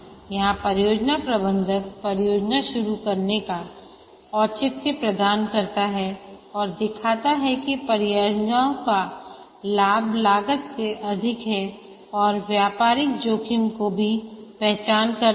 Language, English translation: Hindi, Here the project manager provides a justification for starting the project and shows that the benefit of the project exceeds the costs and also identifies the business risks